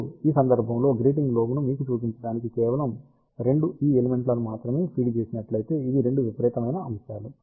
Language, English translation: Telugu, Now, just to show you the case of grating lobe, if only 2 elements are fed these are the 2 extreme elements